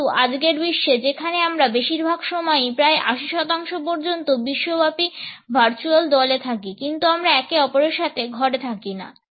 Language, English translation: Bengali, But in today’s world, when we are often in global virtual teams most of the time up to 80 percent of the time we are not in the room with one another anymore